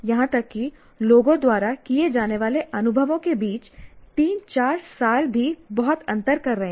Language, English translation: Hindi, Even three years, four years are making a lot of difference between the experiences the people go through